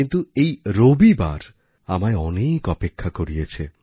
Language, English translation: Bengali, But this Sunday has made one wait endlessly